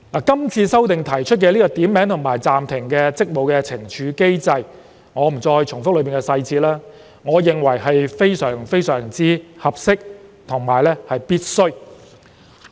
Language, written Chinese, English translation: Cantonese, 是次修訂就"點名及暫停職務"建議懲處機制，我在此不重複有關細節，但我認為這是非常合適及必須的。, The amendment exercise this time around proposes a penalty mechanism called Naming and Suspending . I will not repeat the details here but I think such a mechanism is appropriate and necessary